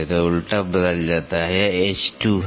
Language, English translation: Hindi, So, the involute changes so, it is h 2